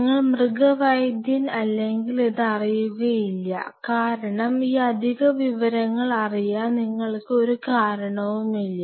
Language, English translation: Malayalam, See if you are not in veterinarian will not be aware of it because there is no reason for you to know this additional piece of information